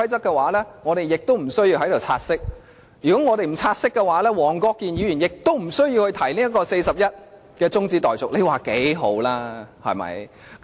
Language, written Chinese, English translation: Cantonese, 如果我們無需辯論"察悉議案"的話，黃國健議員亦不需要根據第401條提出中止待續議案，你說有多好？, If debates over the take - note motion are not necessary Mr WONG Kwok - kin will not raise an adjournment motion under RoP 401―and you will see how nice this will be